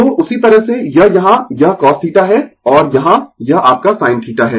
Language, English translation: Hindi, So, accordingly this here it is cos theta and here this one is your sin theta